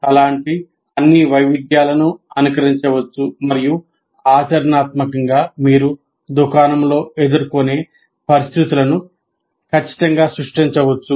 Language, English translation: Telugu, So all such variations can be simulated and practically create exactly the same circumstances that you can encounter in a shop like that